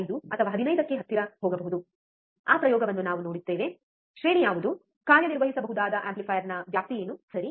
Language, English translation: Kannada, 5 or close to 15, we will see that experiment also that what is the range, what is the range of the operational amplifier that can work on, alright